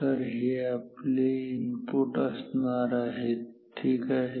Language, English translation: Marathi, So, these are inputs ok